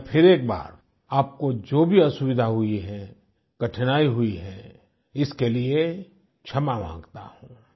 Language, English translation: Hindi, Once again, I apologize for any inconvenience, any hardship caused to you